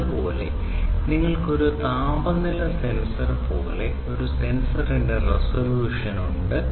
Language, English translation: Malayalam, Similarly, you have the resolution of a sensor like a temperature sensor